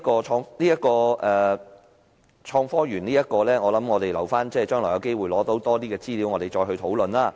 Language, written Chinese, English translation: Cantonese, 所以，有關創科園，我們還是留待將來獲得更多資料時再作討論。, So regarding the Innovation and Technology Park we had better wait until we acquire more information about it in the future